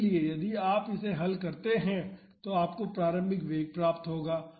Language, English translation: Hindi, So, if you solve this you will get the initial velocity